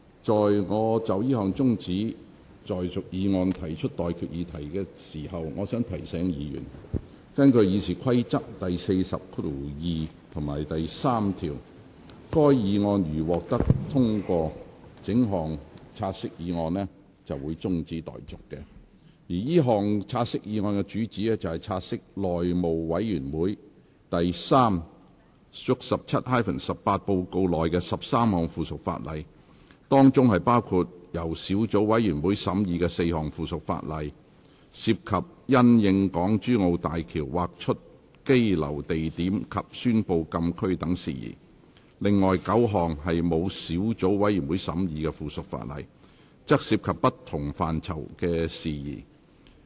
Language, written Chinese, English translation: Cantonese, 在我就這項中止待續議案提出待議議題前，我想提醒議員，根據《議事規則》第402及3條，該項議案如獲得通過，整項"察悉議案"的辯論即告中止待續，而這項"察悉議案"的主旨是，察悉內務委員會第 3/17-18 號報告內的13項附屬法例，當中包括由小組委員會審議的4項附屬法例，涉及因應港珠澳大橋而劃出羈留地點及宣布禁區等事宜；另外9項沒有小組委員會審議的附屬法例，則涉及不同範疇的事宜。, Before I propose the question on the adjournment motion I wish to remind Members that according to Rule 402 and 3 of the Rules of Procedure RoP if the motion that the debate be now adjourned has been agreed to the debate on the question shall stand adjourned . The motion in question seeks to take note of Report No . 317 - 18 of the House Committee in relation to 13 items of subsidiary legislation and instruments including 4 items of subsidiary legislation deliberated by the relevant subcommittees and matters relating to the announcement of the delineation of Places of Detention and Closed Area of the Hong Kong - Zhuhai - Macao Bridge; and 9 items of subsidiary legislation relating to matters in different areas which have not been scrutinized by a subcommittee